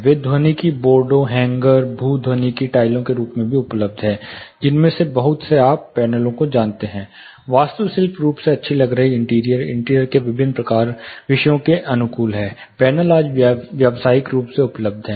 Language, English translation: Hindi, They are also available in the form of acoustic boards, hangers, geo acoustic tiles lot of you know panels, nice looking you know architecturally, good looking interior you know suited to different themes of interiors panels are available, commercially today